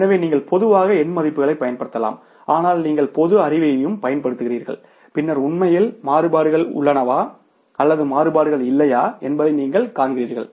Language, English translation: Tamil, So, you can normally apply the numerical values but you apply the common sense also and then you see that whether actually the variances are there or the variances are not there